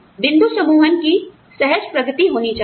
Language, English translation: Hindi, There should be a smooth progression of point grouping